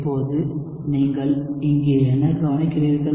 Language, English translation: Tamil, Now, what do you observe here